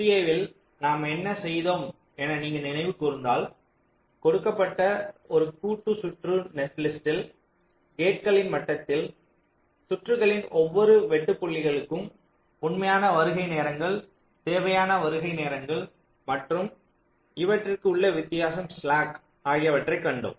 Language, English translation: Tamil, so if you recall in sta what we were doing, given a combinational circuit netlist, typically at the level of gates, we were calculating for every interesting points of the circuit something called actual arrival times, required arrival times and the difference that is the slack